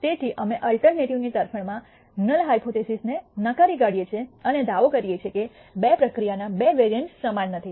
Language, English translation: Gujarati, So, we reject the null hypothesis in favor of the alternative and claim that that the two vari ances of the two process are not equal